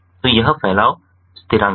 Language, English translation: Hindi, so this is what dispersion constants